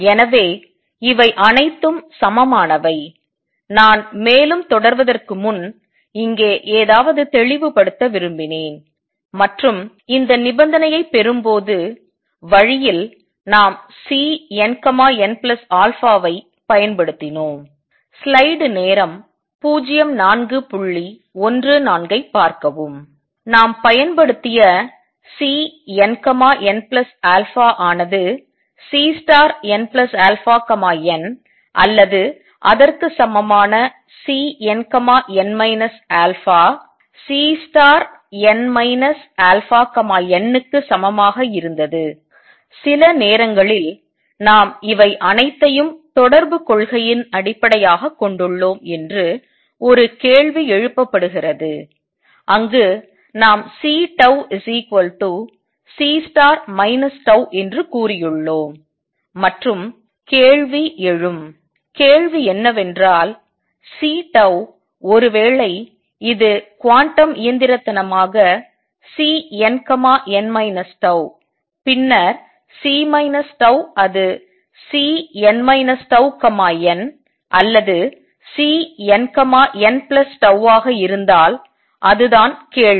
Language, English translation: Tamil, So, these are all equivalent, I just wanted to clarify something here before I proceed further and that is along the way while deriving this condition we use the C N n plus alpha was equal to C star n plus alpha n or equivalently C n, n minus alpha is equal to C star n minus alpha n, and sometimes a question is raised particularly light off that we base all this in correspondence principle, where we have said that C tau was equal to C minus tau star, and the question that arises; question is that C tau suppose it corresponds to in quantum mechanically C n to n minus tau, then C minus tau should it be C n minus tau n or C n, n plus tau that is the question